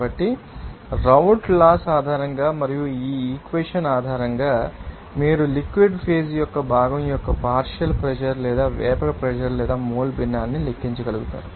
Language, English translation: Telugu, So, based on these Raoult’s Law and based on this equation, you will be able to calculate the partial pressure or vapour pressure or you know mole fraction of the component of the liquid phase